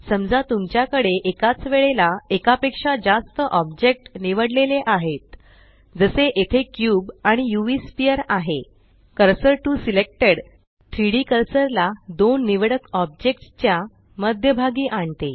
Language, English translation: Marathi, In case you have more than 1 object selected at the same time, say the cube and the UV sphere here, Cursor to selected snaps the 3D cursor at the centre of the two objects selected